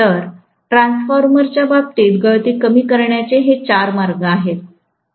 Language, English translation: Marathi, So, these are four ways of reducing you know the leakage in the case of a transformer, fine